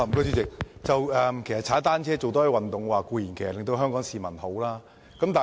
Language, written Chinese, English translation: Cantonese, 主席，多使用單車和多做運動，對香港市民當然有好處。, President it is of course good to Hong Kong people if they can use bicycles more often and do more exercise